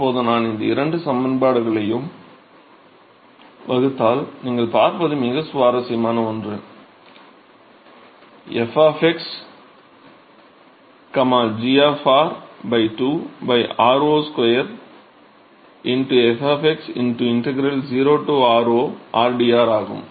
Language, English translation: Tamil, Now if I divide these 2 expressions what do you see is something very interesting you see f of x, g of r divided by 2 by r0 square into f of x into integral 0 to r0 r dr